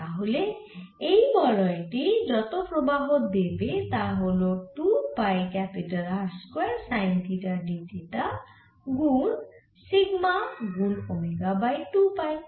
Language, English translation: Bengali, so the current that this band is giving is nothing but two pi r square, sin theta, d theta times, sigma times, omega, over two pi